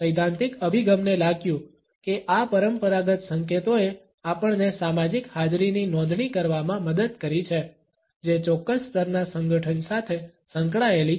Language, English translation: Gujarati, The theoretical approach felt that these conventional cues helped us in registering a social presence that is associated with certain levels of association